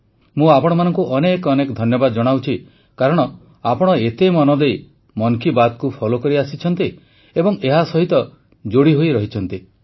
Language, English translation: Odia, I express my gratitude to you for following Mann ki Baat so minutely; for staying connected as well